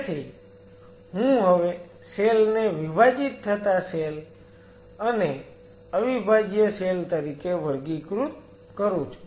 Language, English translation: Gujarati, So, I am classifying the cells now as non dividing and dividing